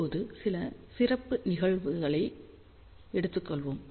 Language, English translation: Tamil, So, now let us just take a few special cases